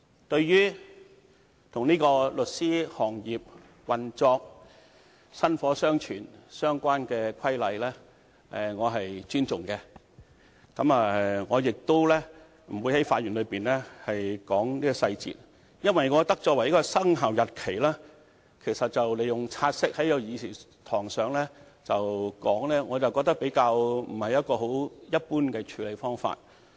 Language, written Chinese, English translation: Cantonese, 對於與律師行業的運作和薪火相傳相關的規則，我是尊重的，我亦不會在發言中談論細節，因為我認為以"察悉議案"的形式在議事堂上討論有關的生效日期，並非一般的處理方法。, I do respect rules relating to the operation and continuation of the solicitors profession and yet I am not going into detail about this in my speech because I do not think it is normal for us to discuss the relevant commencement date by way of a take - note motion in the Chamber